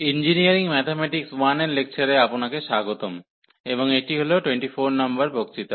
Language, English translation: Bengali, So, welcome to the lectures on Engineering Mathematics 1, and this is lecture number 24